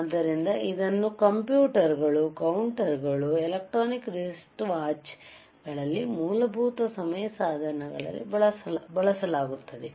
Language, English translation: Kannada, hHence it is used in computers, counters, basic timing devices, in electronic wrist watches in electronics wrist watches ok etc